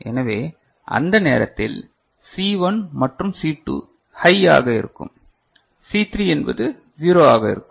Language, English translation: Tamil, So, C1 and C2 will be high at that time ok and C3 is 0 is it fine